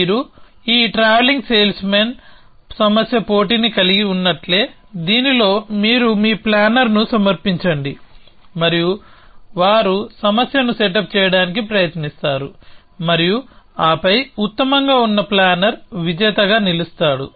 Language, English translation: Telugu, So, just like you had this travelling salesman problem competition, in this you submit your planner and they try it out to set up problem and then the planner which was best is does the to be the winner